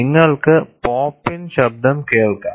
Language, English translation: Malayalam, You can hear the pop in sound